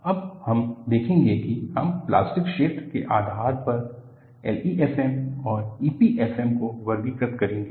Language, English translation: Hindi, Now, what we will look at is, we will classify L E F M and E P F M based on the plastic zone